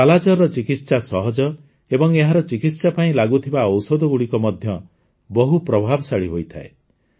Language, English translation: Odia, The treatment of 'Kala Azar' is easy; the medicines used for this are also very effective